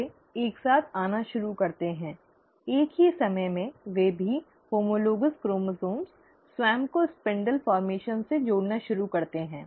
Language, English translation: Hindi, They they start coming together, at the same time, they also, the homologous chromosomes start attaching themselves to the spindle formation